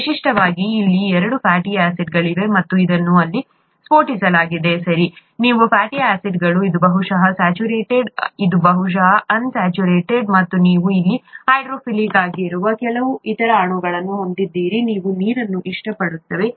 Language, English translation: Kannada, Typically there are two fatty acids here and this is what has been blown up here, right, these are the fatty acids, this is probably saturated, this is probably unsaturated, and you have some other molecules here which are hydrophilic, they like water, and these are hydrophobic molecules, and this is a structure of one of this pair blown up, okay